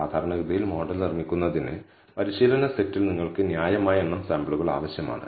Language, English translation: Malayalam, Typically, you need reasonable number of samples in the training set to build the model